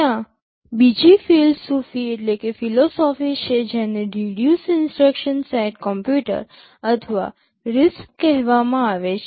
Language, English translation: Gujarati, There is another philosophy called reduced instruction set computers or RISC